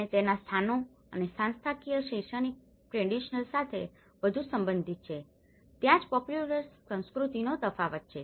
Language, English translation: Gujarati, And its places and institutional is more to do with the academic credential that is where the difference of the popular cultures comes up